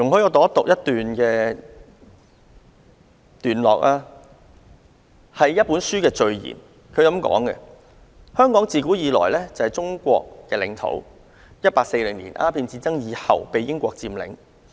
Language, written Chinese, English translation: Cantonese, 以下我引述一本書的序言其中一段："香港自古以來就是中國的領土，一八四○年鴉片戰爭以後被英國佔領。, I will now quote a paragraph from the preamble of a book Hong Kong has been part of the territory of China since ancient times; it was occupied by Britain after the Opium War in 1840